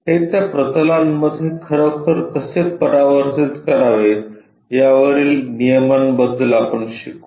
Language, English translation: Marathi, We will learn about the rules how to really transform this onto those planes